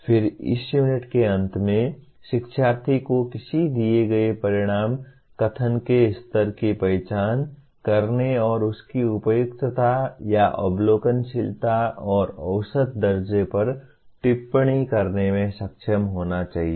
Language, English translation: Hindi, Then at the end of this unit the learner should be able to identify the level of a given outcome statement and comment on its appropriateness or observability and measurability